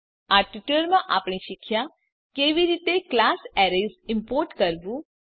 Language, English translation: Gujarati, In this tutorial we have learnt how to import the class Arrays